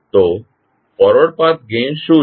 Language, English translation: Gujarati, So, what is Forward Path Gain